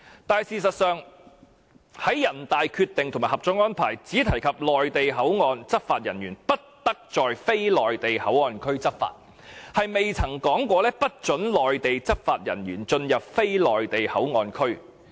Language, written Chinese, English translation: Cantonese, 然而，事實上，人大的《決定》和《合作安排》均只提及內地口岸執法人員不得在非內地口岸區執法，但沒有說過不准內地執法人員進入非內地口岸區。, However as a matter of fact both the Decision of NPCSC and the Co - operation Arrangement only provided that Mainland law enforcement officers cannot enforce the law in the non - port areas but have not prohibited their entry into the non - port areas